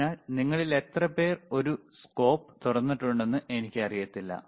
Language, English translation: Malayalam, So, I do n ot know how many of you have opened doors in a a scope